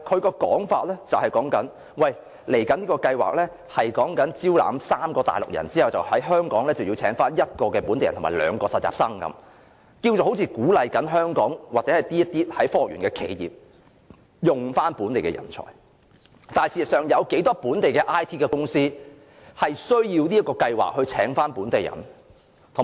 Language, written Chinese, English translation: Cantonese, 局長的說法是，這個計劃是在招攬3名內地專才後，便要在香港聘請1個本地人和2個實習生，好像在鼓勵科學園的企業使用本地人才，事實上有多少本地 IT 公司需要這個計劃來聘請本地人？, The Secretarys explanation was that the scheme requires applicant companies to employ one local person plus two local interns for every three Mainland professionals admitted as if the scheme was encouraging the enterprises in the Science Park to use local talents . In fact how many local IT firms need this scheme to hire local persons?